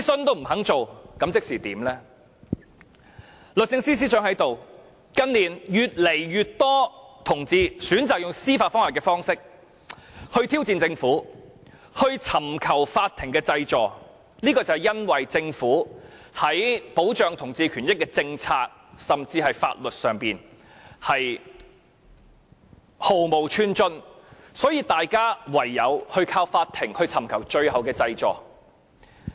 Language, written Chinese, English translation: Cantonese, 律政司司長現時也在席，近年越來越多同志選擇以司法覆核方式挑戰政府，尋求法院濟助，就是由於政府在保障同志權益的政策甚至法律上毫無寸進，所以大家唯有依靠法庭尋找最後的濟助。, Now the Secretary for Justice is in the Chamber . In recent years more and more people choose to challenge the Government by way of judicial review and seek relief from the court . The precise reason for this is that the Government has not made any policy or even legislative progress in protecting the rights of people of different sexual orientations